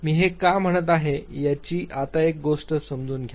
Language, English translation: Marathi, Now understand one thing why I am I saying this